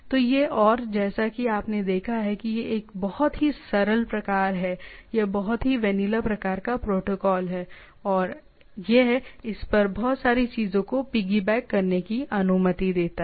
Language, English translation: Hindi, So, this and as you have seen it is a very simple type of or very what is vanilla type of protocol and it allows lot of things to piggy back on it